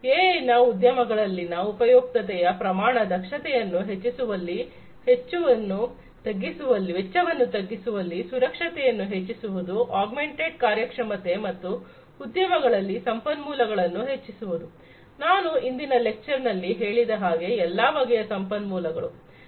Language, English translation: Kannada, The usefulness of AI in the industry scale are to increase the efficiency, save costs, improve security, augment performance and boost up resources in the industries; resources of all kind as I said in a previous context in a previous lecture before